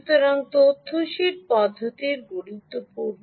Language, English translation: Bengali, so, data sheet approach, approach is important